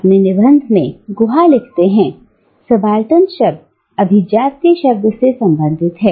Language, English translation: Hindi, In his essay, Guha writes, that the term subaltern is oppositionally related to the term elite